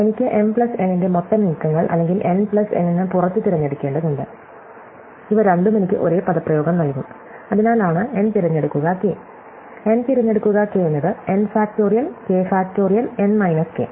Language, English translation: Malayalam, So, I need to choose m out of m plus n total moves or n out of m plus n, both of them will give me the same expression, because that is why, n choose k, n choose k is n factorial k factorial n k